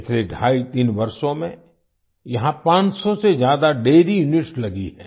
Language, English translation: Hindi, During the last twoandahalf three years, more than 500 dairy units have come up here